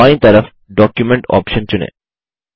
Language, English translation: Hindi, On the left side, lets select the Document option